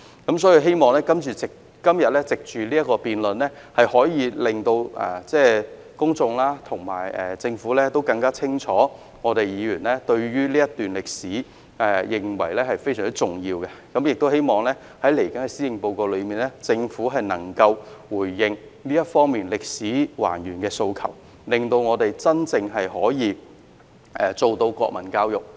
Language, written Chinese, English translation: Cantonese, 所以，我希望藉着今天的辯論，可以令公眾和政府更加清楚知道議員認為這段歷史非常重要，也希望在接着的施政報告中，政府能夠回應還原這段歷史的訴求，讓我們真正可以做到國民教育。, Therefore I hope that through todays debate the public and the Government will understand more clearly that Members attach great importance to this period of history . I also hope that in the coming policy address the Government will respond to the aspiration for restoring these historical facts to enable us to truly carry out national education effectively